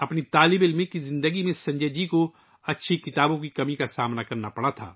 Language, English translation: Urdu, In his student life, Sanjay ji had to face the paucity of good books